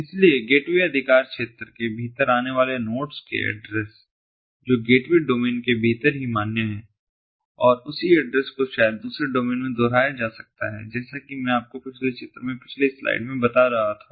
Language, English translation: Hindi, so the nodes that are within the gateways jurisdiction have addresses that are valid within the gateways domain only and the same address maybe repeated in another domain, as i i was telling you before in the previous slide, in the previous diagram